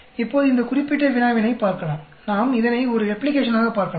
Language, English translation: Tamil, Now, let us look at this particular problem we can look at it as a replication